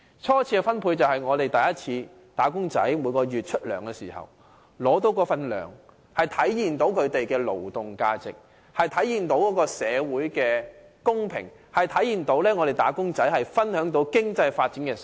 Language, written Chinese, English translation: Cantonese, 初次分配是指"打工仔"每月獲發工資，這體現了他們的勞動價值，體現了他們能夠分享經濟發展成果，體現了社會的公平。, Primary distribution refers to the monthly wages received by wage earners which should reflect their labour value and their opportunity to share the fruits of economic prosperity and that realizes social fairness